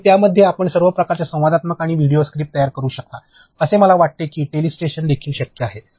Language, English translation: Marathi, And, within that you can create all kinds of interactivity and video scribe, you can use for I think telestrations are also possible